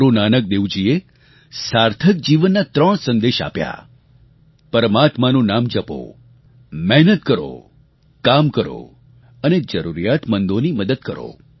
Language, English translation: Gujarati, Guru Nanak Dev ji voiced three messages for a meaningful, fulfilling life Chant the name of the Almighty, work hard and help the needy